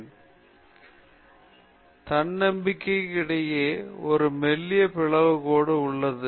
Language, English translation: Tamil, There is a thin dividing line between arrogance and self confidence